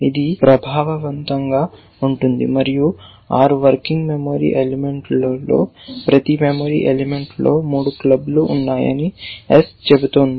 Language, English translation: Telugu, That is effective and 6 working memory element in which says and each memory element is saying that there is 3 of clubs it is held by S